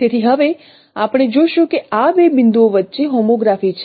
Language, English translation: Gujarati, So now we will see that there exists a homography between these two points